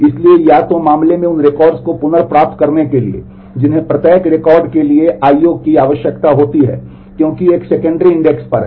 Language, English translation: Hindi, So, in either case retrieving records that are pointed to requires I/O for each record because they are on a secondary index